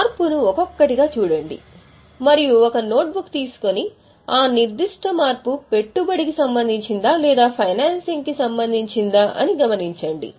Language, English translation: Telugu, One by one look at the change and take a notebook and note whether that particular change is investing or financing